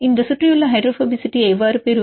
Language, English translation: Tamil, How to get this surrounding hydrophobicity